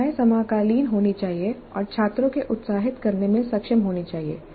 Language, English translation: Hindi, Problems must be contemporary and be able to excite the students